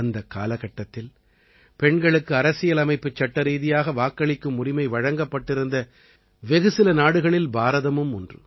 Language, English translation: Tamil, During that period, India was one of the countries whose Constitution enabled Voting Rights to women